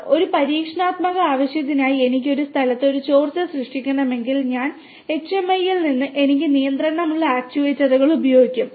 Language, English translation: Malayalam, Sir, for an experimental purpose if I want to create a leakage at a location I will be using the actuators where I have control from the HMI